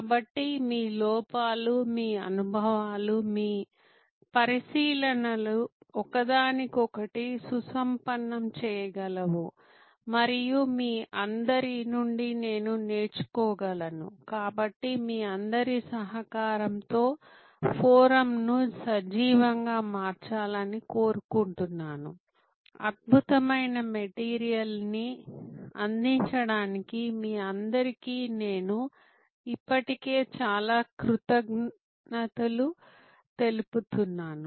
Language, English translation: Telugu, So, that your insides, your experiences, your observations can enrich each other and I can learn from all of you, so I would like all of you to make our forum lively, I am already very thankful to all of you for contributing some excellent material